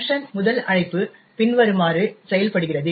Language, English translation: Tamil, The first invocation of func works as follows